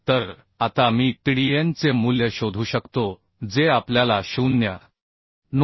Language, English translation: Marathi, 242 So now I can find out the Tdn value Tdn we know 0